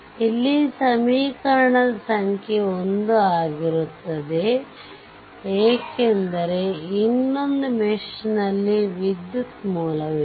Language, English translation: Kannada, So, number of equation not 2 here, number of equation will be 1 because in another mesh the current source is there